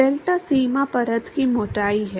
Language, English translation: Hindi, Delta is the boundary layer thickness